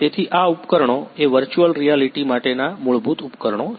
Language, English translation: Gujarati, So, these are the equipments basic equipments for the virtual reality